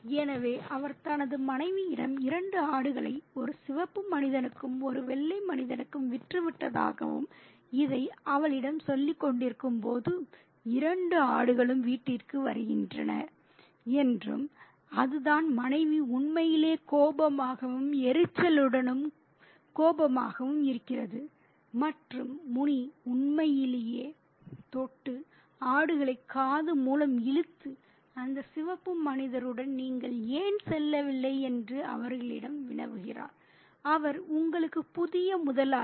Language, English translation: Tamil, So, he tells his wife that he has sold two goats to a red man, to a white man, and while he is telling her this, the two goats come home and that's it, the wife is really annoyed and irritated and angered and Muni really touchingly pulls the goats by the ear and quizzes them, why didn't you go with that red man